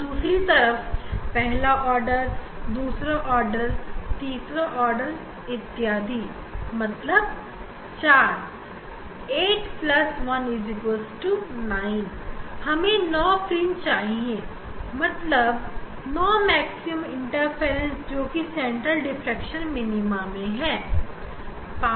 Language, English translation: Hindi, And, other side first order, second order, third order, fourth order 4, 4, 8 plus 1 9 we should we will get 9 fringe 9 maxima interference maxima in the central diffraction maxima